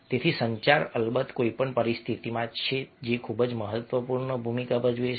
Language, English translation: Gujarati, so con communication, of course in any situation, is playing very, very important role